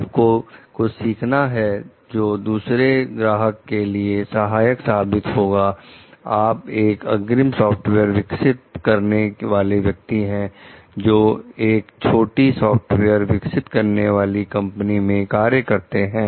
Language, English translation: Hindi, One client teaches you something that would help another client, you are the lead software developer working for a small software developing company